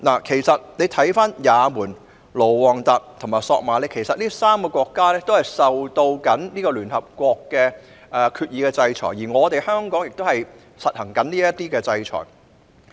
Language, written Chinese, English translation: Cantonese, 其實，也門、盧旺達和索馬里這3個國家正受到聯合國決議的制裁，而香港亦正在實施這些制裁措施。, In fact the three countries of Yemen Rwanda and Somalia are being sanctioned by the United Nations and Hong Kong is also currently implementing these sanctions